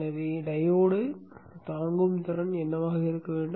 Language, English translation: Tamil, So what should be the diode with standing capability